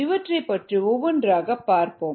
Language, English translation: Tamil, let us look at these one by one